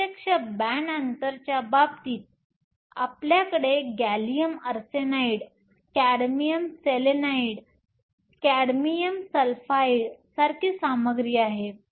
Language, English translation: Marathi, In the case of direct, we have materials like gallium arsenide, cadmium selenide, cadmium sulfide